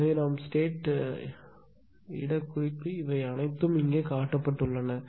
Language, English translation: Tamil, So, what we will do is that in the state place representation this all these things are shown here